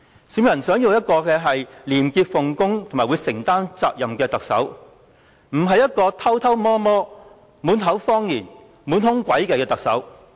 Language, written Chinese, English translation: Cantonese, 市民想要的是一名廉潔奉公和承擔責任的特首，而不是一名偷偷摸摸、滿口謊言、滿腹詭計的特首。, Members of the public want their Chief Executive to be a person of integrity who will readily shoulder responsibility but not someone who always acts clandestinely tells lies and makes cunning plans